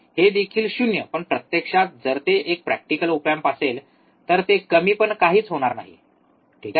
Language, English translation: Marathi, This also 0, but in reality, if it is practical op amp, it would be nothing but low, alright